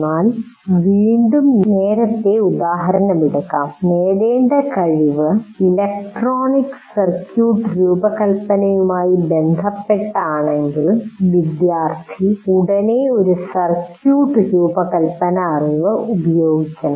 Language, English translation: Malayalam, That means, once again taking the earlier example, if the goal, if the competency is related to designing an electronic circuit, the student should immediately apply that knowledge of designing a circuit, however simple it is